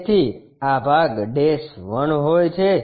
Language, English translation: Gujarati, So, this part dash 1